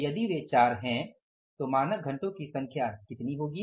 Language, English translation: Hindi, So, if they are 4, so number of standard hours will be how much